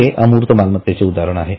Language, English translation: Marathi, That is an example of intangible asset